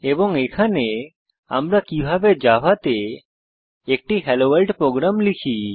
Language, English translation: Bengali, Here these are complete HelloWorld program in Java